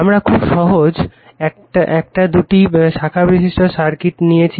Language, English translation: Bengali, We have taken a simple two branch circuit right